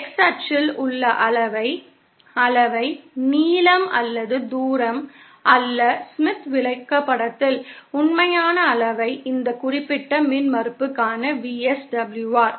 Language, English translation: Tamil, And the reading on the x axis, reading, not the length or the distance, the actual reading on the Smith chart will be the VSWR for this particular impedance